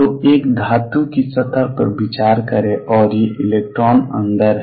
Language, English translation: Hindi, So, consider a metallic surface, and there these electrons inside